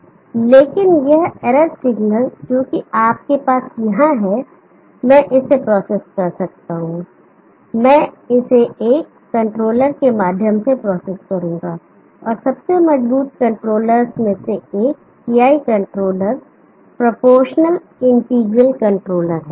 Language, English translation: Hindi, But this error signal what you have here I can process that, I will process it through a controller, and one of the most robust controllers is the PI controller proportional integral controller